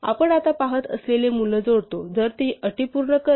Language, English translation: Marathi, We add the value that we are looking at now provided it satisfies the conditions